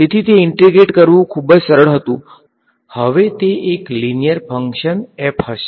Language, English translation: Gujarati, So, it was very simple to integrate now it will be a linear function right